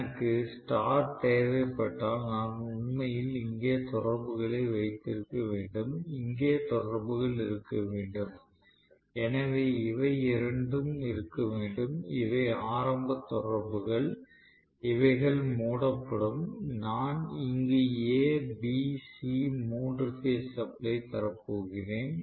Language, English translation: Tamil, So, if I want star I have to actually have contactors here, and contactors here, this two have to be, so this are starting contactors, they will be closed and I am going to have A B C three phase supply applied here right